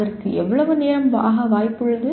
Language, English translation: Tamil, And how much time it is likely to take